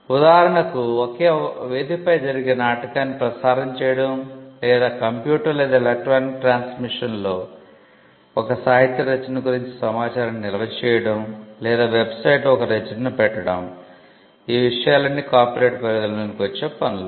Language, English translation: Telugu, For instance, broadcasting the play which happens on a stage or storing information about a literary work on a computer or electronic transmission or hosting the work on a website all these things are regarded as technological developments of an existing work they are also covered by copyright